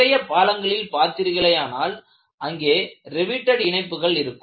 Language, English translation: Tamil, And if you look at many of the bridges, they have riveted joints